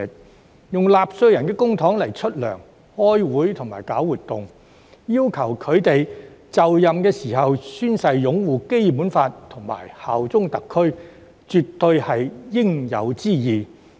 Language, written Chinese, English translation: Cantonese, 區議員以納稅人的公帑支薪、開會和舉辦活動，所以要求他們在就任時宣誓擁護《基本法》和效忠特區，絕對是應有之義。, As they get paid hold meetings and organize events with public money from taxpayers it is definitely the responsibilities of DC members to take oath when assuming office to uphold the Basic Law and swear allegiance to SAR